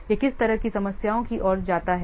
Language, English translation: Hindi, It leads to what kind of problems